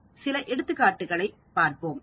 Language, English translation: Tamil, Let us look at some examples